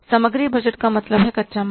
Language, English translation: Hindi, Inventory budget means raw material